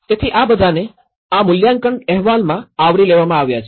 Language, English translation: Gujarati, So, that is all been covered in this particular assessment report